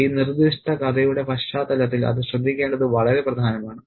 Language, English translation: Malayalam, And that's very important to note in the context of this particular story